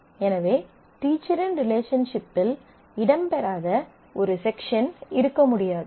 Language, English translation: Tamil, So, there cannot be a section which does not feature in the teacher’s relationship